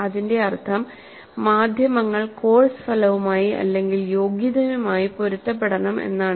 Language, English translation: Malayalam, That essentially means that the media must be consistent with the course outcome or the competency